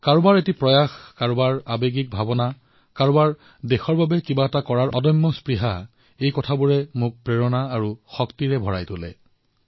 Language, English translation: Assamese, Someone's effort, somebody's zeal, someone's passion to achieve something for the country all this inspires me a lot, fills me with energy